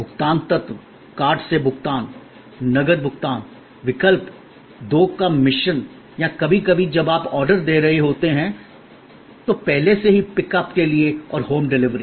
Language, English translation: Hindi, Payment elements, card payment, cash payment, options, mix of the two or sometimes when you are placing the order, beforehand just for pickup and bring home delivery